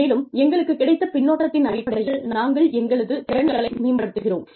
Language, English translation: Tamil, And, based on that feedback, we improve our skills